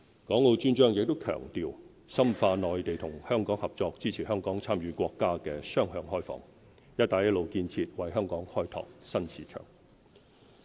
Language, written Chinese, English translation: Cantonese, 《港澳專章》也強調深化內地與香港合作，支持香港參與國家雙向開放、"一帶一路"建設，為香港開拓新市場。, The chapter emphasizes deepening cooperation between the Mainland and Hong Kong and supports Hong Kongs participation in the countrys two - way opening up and the Belt and Road Initiative so as to explore new markets